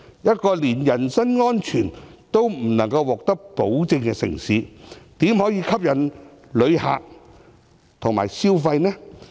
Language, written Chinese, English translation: Cantonese, 一個連人身安全也不能獲得保證的城市，怎可能吸引旅客到來消費？, Consequently many Chinese and overseas visitors have stopped visiting Hong Kong . How can a city which fails to guarantee personal safety attract visitors to come and spend money?